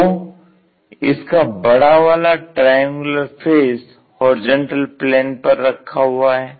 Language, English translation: Hindi, And the larger triangular faces that is on horizontal plane